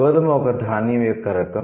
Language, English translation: Telugu, So wheat is a type of a grain